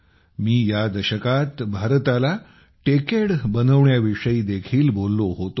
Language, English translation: Marathi, I had also talked about making this decade the Techade of India